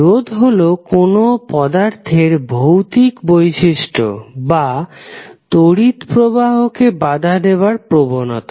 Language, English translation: Bengali, So resistance is a physical property or ability of an element to resist the current